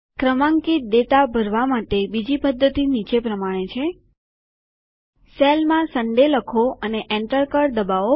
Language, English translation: Gujarati, Another method for auto filling of sequential data is as follows Type Sunday in a cell and press Enter